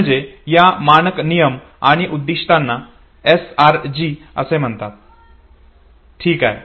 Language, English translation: Marathi, So these are standards rules and goals are called SRGs okay